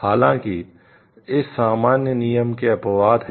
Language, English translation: Hindi, There are however, exception to this general rule